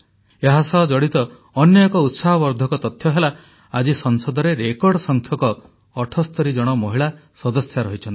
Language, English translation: Odia, Another encouraging fact is that, today, there are a record 78 women Members of Parliament